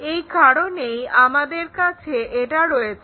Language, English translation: Bengali, So, there is a reason we have this one